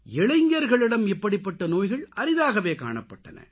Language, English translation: Tamil, Such diseases were very rare in young people